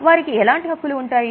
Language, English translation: Telugu, What rights they have